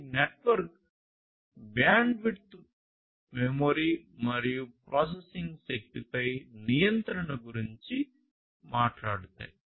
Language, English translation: Telugu, So, these talks about the control over the network bandwidth memory and processing power